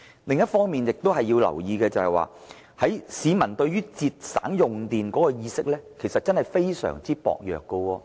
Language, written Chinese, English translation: Cantonese, 另一亦要留意的地方，是市民對節省用電的意識非常薄弱。, One other point Hong Kong peoples sense of saving energy is very weak